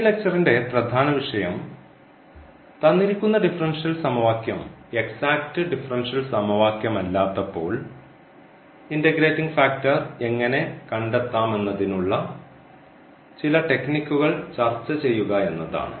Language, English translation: Malayalam, So, here the main topic of this lecture is we will discuss some techniques here how to find integrating factor when a given differential equation is not exact differential equation